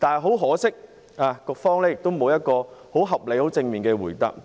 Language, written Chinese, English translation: Cantonese, 很可惜，局長沒有提供一個合理、正面的答覆。, Regrettably the Secretary has not provided a reasonable and positive reply